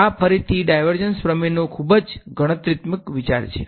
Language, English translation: Gujarati, This is again a very computational idea of the divergence theorem